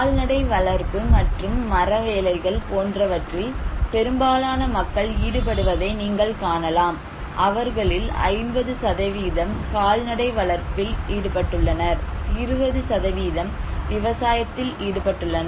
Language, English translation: Tamil, You can see that most of the people are involved in cattle rearing and wood cravings, so 50% of them are in cattle rearing and animal husbandry and some are also involved in agriculture around 20% of populations